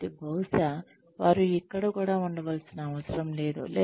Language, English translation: Telugu, So, maybe, they do not even need to be here